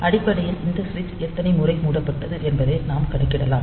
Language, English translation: Tamil, So, basically, we can count the number of times this switch has been closed